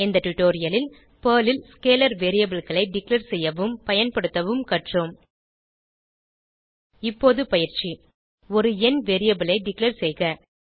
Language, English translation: Tamil, In this tutorial we have learnt, To Declare and Use scalar variables in Perl Assignment Declare a number variable